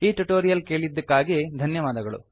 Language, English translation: Kannada, Thank you for listening to this tutorial